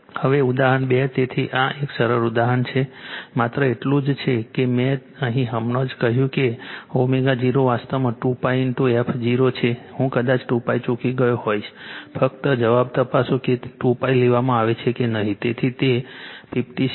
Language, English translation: Gujarati, Now, example 2 so, this is simple example right, only thing is that this your what you call here I told you just omega 0 is actually 2 pi into f 0, I might have missed 2 pi, just check the answer right whether it is 2 pi is taken care or not right, so it is 56